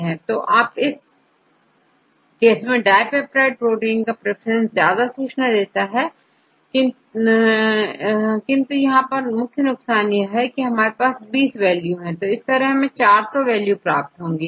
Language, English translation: Hindi, So, in this case dipeptide proteins preference have more information, but the drawback is there we have 20 values, but here we get 400 values